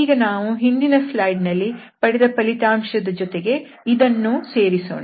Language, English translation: Kannada, And now we combine this result and what we obtained in the previous slide